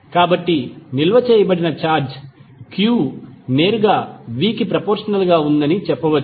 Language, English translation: Telugu, So, can say that q that is stored charge is directly proposnal to v